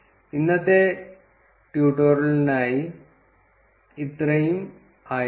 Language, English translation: Malayalam, This would be it for the tutorial today